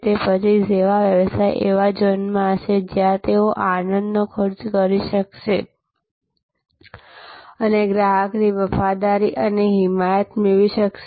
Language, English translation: Gujarati, Then, the service business will be in the zone, where they can cost delight and gain customer loyalty and advocacy